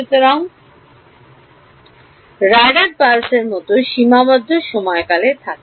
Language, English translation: Bengali, So, like a radar pulse has a finite time duration right